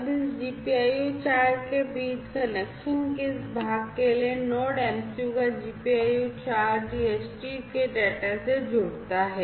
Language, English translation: Hindi, Now, for this part for this part of connection between this GPIO 4 so, GPIO 4 of Node MCU connects to the DHT of data and sorry the data of the DHT